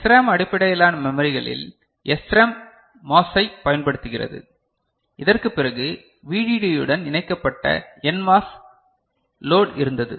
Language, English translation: Tamil, In SRAM based memories SRAM using MOS what we had after this we had a NMOS load connected to VDD